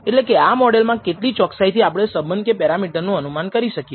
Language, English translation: Gujarati, In terms of how accurately we can estimate the relationship or the parameters in this model